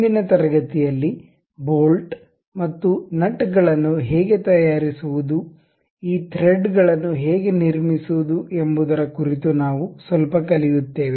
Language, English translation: Kannada, In today's class, we will learn little bit about how to make bolts and nuts, how to construct these threads